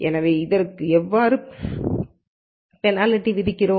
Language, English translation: Tamil, So, how do we penalize this